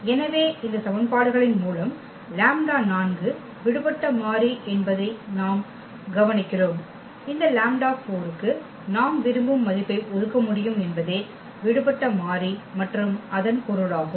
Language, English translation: Tamil, So, with these system of equations what we observe that lambda 4 is free variable; is free variable and meaning that we can assign whatever value we want to this lambda 4